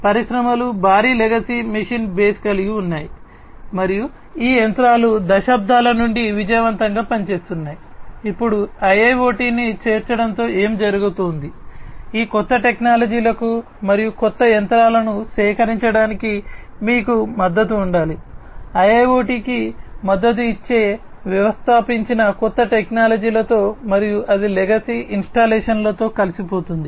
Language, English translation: Telugu, Industries have huge legacy machine base and these machines have been operating successfully since decades, now with the incorporation of IIoT what is going to happen is you have to have support for these newer technologies and newer machines being procured with the installed new technologies supporting IIoT and also having that integrate with the legacy installations that are already there